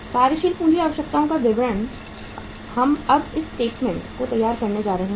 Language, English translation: Hindi, Statement of working capital requirements we are going to prepare now this statement